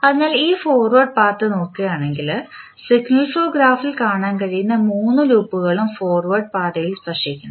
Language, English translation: Malayalam, So, if you see the particular forward path all three loops which you can see in the signal flow graph are touching the forward path